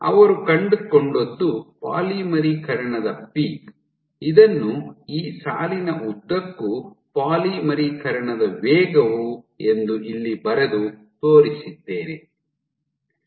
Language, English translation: Kannada, So, what they found was the polymerization peak, so let me draw with this if you if, this is the polymerization rate along this line